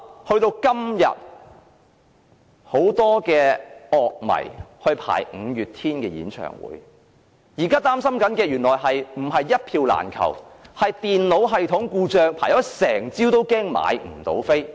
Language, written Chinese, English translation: Cantonese, 到了今天，很多樂迷排隊購買五月天演唱會的門票，但現在擔心的原來不是一票難求，而是電腦系統故障，即使輪候一整個早上也害怕買不到票。, Today many MayDays fans have queued up to buy tickets for the bands upcoming concerts . However a system malfunction occurred thus adding to their worries over the availability of tickets . They might not be able to buy any ticket after having queued up for the whole morning